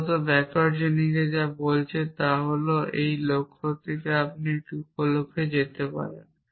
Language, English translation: Bengali, Essentially, what backward chaining is saying is that from a goal you can move to a sub goal essentially